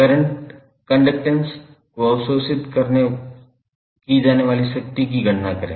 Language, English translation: Hindi, Calculate the current, conductance and power absorb by the resistor